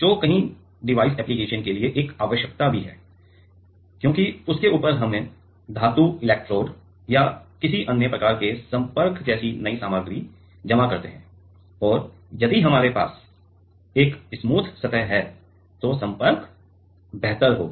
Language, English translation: Hindi, Which is also a requirement for many of the device application, because on top of that we deposit new material like metal electrode or some other kind of contact and it will be the contact will be better, if we have a smooth surface